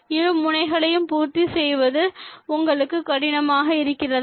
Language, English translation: Tamil, and do you find it difficult to make both ends meet